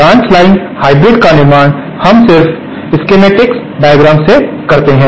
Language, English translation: Hindi, The construction of branch line hybrid is we just go via schematic diagram is like this